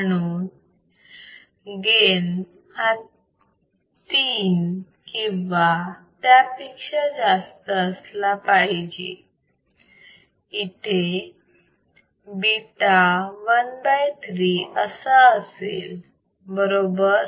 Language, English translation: Marathi, So, gain would be greater than equal to 3, beta would be equal to 1 by 3 1 by 3 right